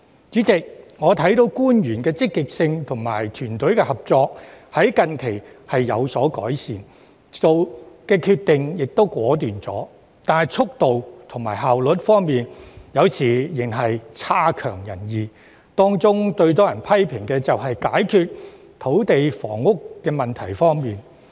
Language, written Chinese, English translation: Cantonese, 主席，我看到官員的積極性及團隊合作近期有所改善，做決定時也更果斷，但在速度和效率方面有時仍然差強人意，當中最多人批評的是他們在解決土地及房屋問題方面的表現。, President I notice that the motivation and teamwork of government officials have been improved recently . Despite being more decisive in making decisions there is still room for improvement in their speed and efficiency and their performance in trying to resolve the land and housing problems has been criticized most seriously